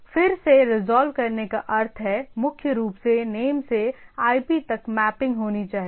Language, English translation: Hindi, So, again the resolving means primarily mapping from name to IP